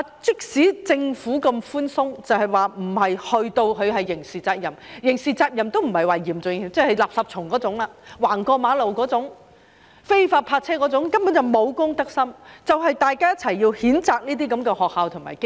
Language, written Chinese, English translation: Cantonese, 即使政府那麼寬鬆，並沒有訂為刑事責任，即使是刑事責任都不是嚴重的，只好像"垃圾蟲"、亂過馬路、非法泊車那種，這根本是沒有公德心，大家正正要一起譴責這些學校和機構。, The Government is so lenient and does not make it a criminal offence . Even if a criminal offence is to be introduced it will not be that serious just like the offences of littering jaywalking and illegal parking . This is simply a lack of a sense of social responsibility and these schools and organizations are exactly the ones that should be condemned